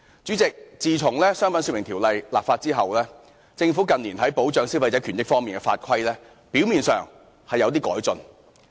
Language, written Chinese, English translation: Cantonese, 主席，自從《商品說明條例》立法後，政府近年在保障消費者權益方面的法規，表面上是有點改進。, President after the Trade Descriptions Ordinance came into effect on the surface the Government has made certain improvements in the laws and regulations concerning the protection of consumers rights and interests in recent years